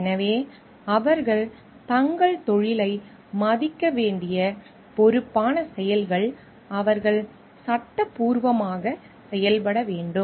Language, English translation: Tamil, So, responsible acts they have to honor their profession, they have to act lawfully